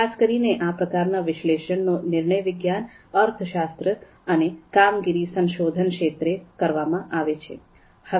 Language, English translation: Gujarati, So typically, this kind of analysis is dealt in the fields of decision science, economics and operations research